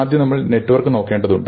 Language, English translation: Malayalam, So, first we need to look at the network